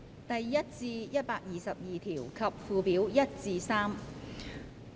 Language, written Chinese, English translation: Cantonese, 第1至122條及附表1至3。, Clauses 1 to 122 and Schedules 1 to 3